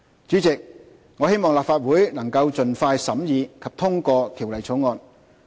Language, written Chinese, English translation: Cantonese, 主席，我希望立法會能盡快審議及通過《條例草案》。, President I hope the Legislative Council can expedite the scrutiny and approval of the Bill